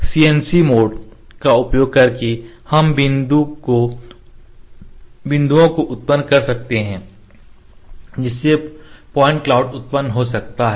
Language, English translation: Hindi, Using CNC mode we can generate the point the point cloud can be generated